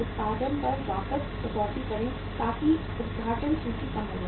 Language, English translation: Hindi, cut back on the production so that opening inventory becomes low